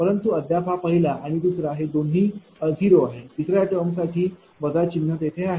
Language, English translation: Marathi, But, still it is the first one and 2 it is becoming 0, in the case of third term minus sign is there